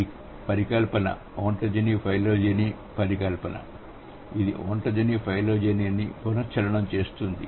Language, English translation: Telugu, So, this hypothesis is the ontogeny phylogeny hypothesis which says that ontogeny recapitulates phylogeny